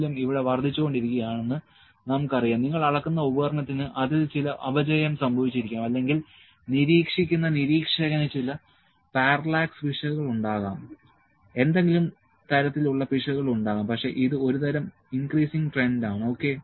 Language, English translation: Malayalam, It might be that we know the value is increasing here, it might be that the instrument that you are measuring with that might have got some deterioration in that or the observer who is observing is having some parallax error, any kind of error could be there, but this is a kind of an increasing trend, ok